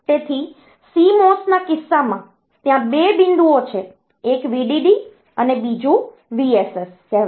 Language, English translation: Gujarati, So, in case of CMOS, the there are 2 point; one is called VDD and another is VSS